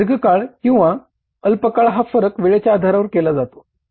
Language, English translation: Marathi, The distinction between the long term and short term is in terms of the time